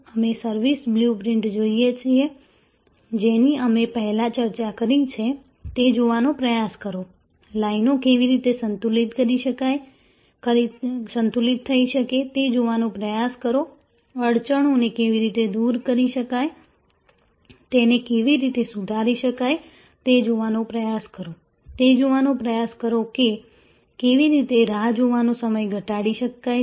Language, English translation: Gujarati, We look at the service blue print, which we have discussed before try to see, how lines can be balance, try to see, how bottle necks can be removed, try to see how the through put can be improved, try to see, how the waiting time can be decreased and